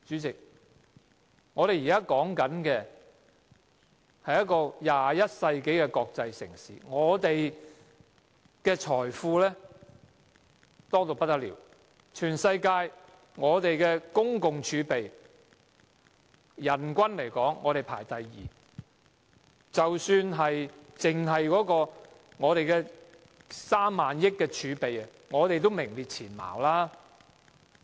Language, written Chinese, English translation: Cantonese, 代理主席，香港是一個21世紀的國際城市，財富豐厚，我們的人均財政儲備排名世界第二，即使只計及3萬億元儲備，也是名列前茅。, Deputy President Hong Kong is an international city in the 21 century . It is very wealthy with a per capita fiscal reserve ranking second in the world and it ranks first for having 3 trillion reserve